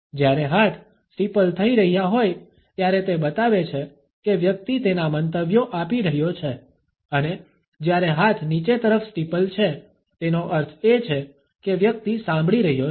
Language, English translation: Gujarati, When the hands are steepling up it shows that the person is giving his opinions and when the hands are steepling down, it means that the person is listening